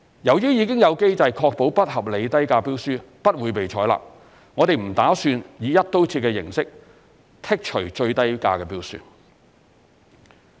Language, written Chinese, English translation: Cantonese, 由於已有機制確保不合理低價標書不會被採納，我們不打算以"一刀切"形式剔除最低價標書。, As there has been a mechanism to ensure that unreasonably low tender prices will not be accepted we have no plan to impose a requirement to exclude the tender with the lowest bid price in tender evaluation across the board